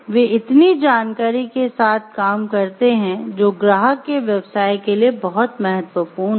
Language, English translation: Hindi, They may be handling with so many information which is very crucial to the business of the client